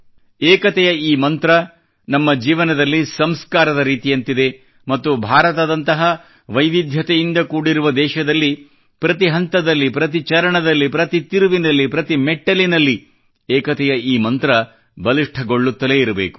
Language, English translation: Kannada, This mantra of unity is like a sacrament in our life and in a country like ours filled with diversities, we should continue to strengthen this mantra of unison on all paths, at every bend, and at every pitstop